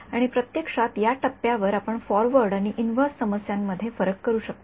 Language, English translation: Marathi, And, actually, at this point we can make a distinguish distinction between forward problems and inverse problems